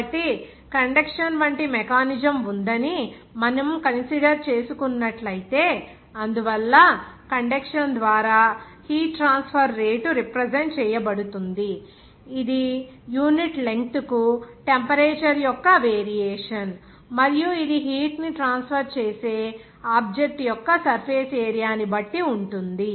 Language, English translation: Telugu, So, if I consider that there is a mechanism like conduction, so the heat transfer rate by conduction that will be represented by that is variation of the temperature per unit length and also it will be depending on the surface area of the object through which heat will be transferred